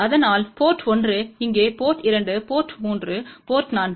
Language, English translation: Tamil, So, port 1 here port 2 port 3 port 4